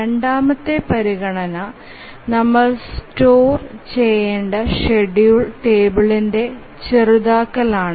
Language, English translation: Malayalam, The second consideration is minimization of the schedule table that we have to store